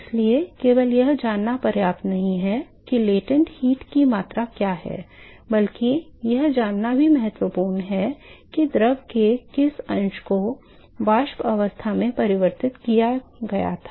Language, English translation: Hindi, So, it is not enough to simply know what is the amount of latent heat, but it is also important to know what fraction of the fluid was converted to the vapor state